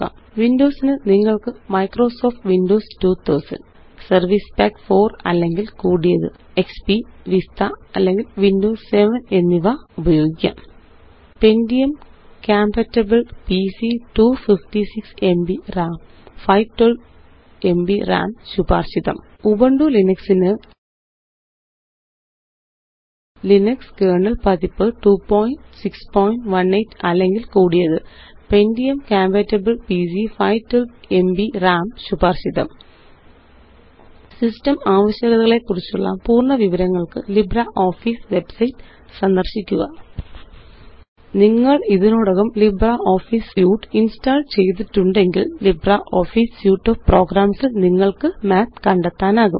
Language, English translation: Malayalam, For Windows, you will need Microsoft Windows 2000 , XP, Vista, or Windows 7 Pentium compatible PC 256 Mb RAM For Ubuntu Linux,the system requirements are: Linux kernel version 2.6.18 or higher Pentium compatible PC 512Mb RAM recommended For complete information on System requirements,visit the libreoffice website